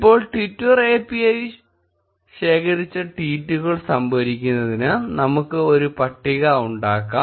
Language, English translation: Malayalam, Now, let us create a table to store tweets collected by a Twitter API